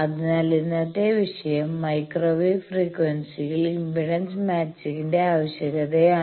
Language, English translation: Malayalam, So, today's topic is need of impedance matching at microwave frequency